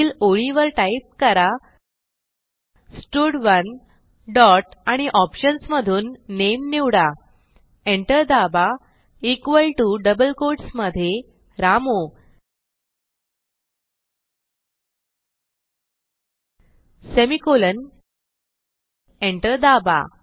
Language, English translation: Marathi, Next line type stud1 dot select name press enter equal to within double quotes Ramu semicolon press enter